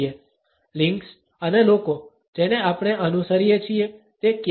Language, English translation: Gujarati, What are the links and people whom we follow